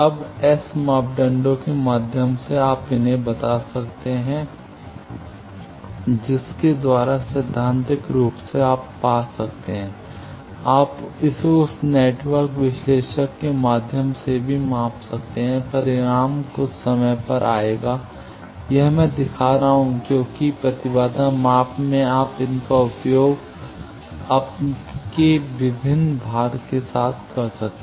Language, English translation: Hindi, Now, through S parameter you can model these there are ways by which theoretically you can find, also you can measure it through that network analyzer, the result will be comes some timely, this I am showing because in impedance measurement you can use these as your various loads